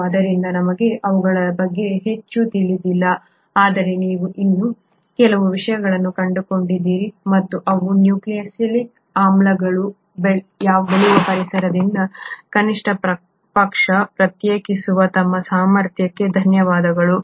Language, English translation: Kannada, And hence we do not know much about them but there are a few things which you have still figured out about them and thatÕs thanks to our ability to at least isolate their nucleic acids from the environment in which they grow